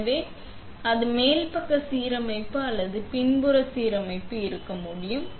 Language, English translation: Tamil, So, it can be either top side alignment or it can be a backside alignment